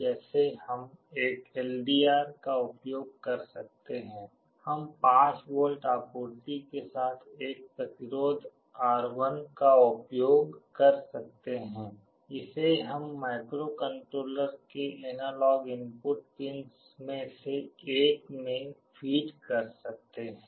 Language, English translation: Hindi, Like we can use an LDR, we can use a resistance R1 with a 5V supply, we can feed it to one of the analog input pins of the microcontroller